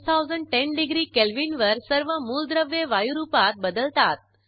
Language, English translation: Marathi, At 6010 degree Kelvin all the elements change to gaseous state